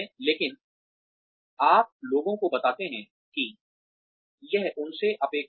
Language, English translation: Hindi, But, you tell people that, this is expected of them